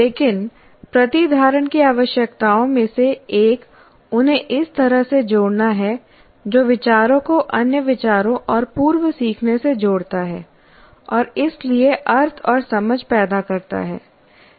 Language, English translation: Hindi, But one of the requirements of retention is linking them in a way that relates ideas to other ideas and to prior learning and so creates meaning and understanding